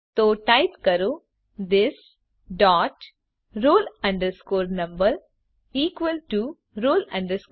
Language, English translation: Gujarati, So type this dot roll number equal to roll number